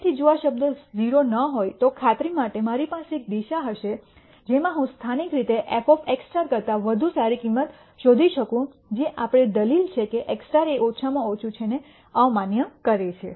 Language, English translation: Gujarati, So, if this term is not 0 then for sure I will have one direction in which I can go and find a value better than f of x star locally, which would invalidate our argument that x star is a minimizer